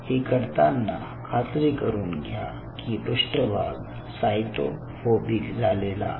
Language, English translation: Marathi, ok, so you are kind of ensuring that these surfaces are cyto phobic